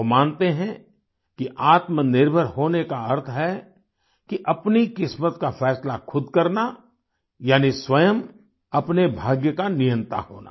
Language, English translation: Hindi, He believes that being selfreliant means deciding one's own fate, that is controlling one's own destiny